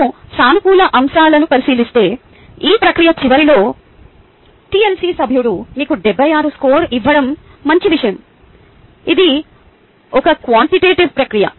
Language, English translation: Telugu, if we look at the positive aspects, the good thing about ah the tlc member giving you a score seventy six at the end of this process